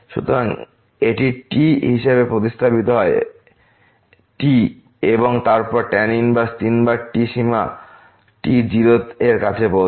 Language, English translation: Bengali, So, this is substituted as and then, inverse three times and the limit approaches to 0